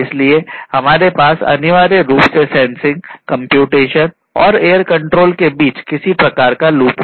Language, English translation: Hindi, So, you have a loop between sensing then computation and then control